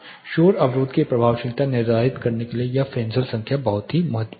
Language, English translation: Hindi, This Fresnel number is very significant to determine the effectiveness of noise barrier